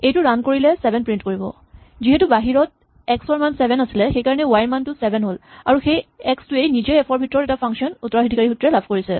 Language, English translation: Assamese, If you run this, then indeed it prints the value 7 as we expect, so y gets the value 7 because the x has the value 7 outside and that x is inherited itself a function from inside f